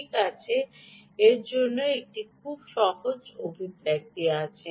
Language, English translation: Bengali, well, there is a very simple expression for that